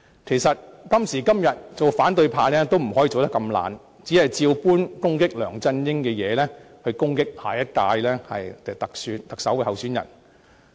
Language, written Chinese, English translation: Cantonese, 其實，今時今日，反對派也不能這麼懶惰，只把攻擊梁振英的問題全數用作攻擊下任特首候選人。, In fact in order to meet the requirements of today those in the opposition camp should not be too lazy and attack potential candidates of the next Chief Executive election simply with all the excuses they have made up to attack LEUNG Chun - ying